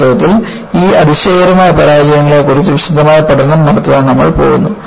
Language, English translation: Malayalam, In fact, we are going to have a detailed study on these spectacular failures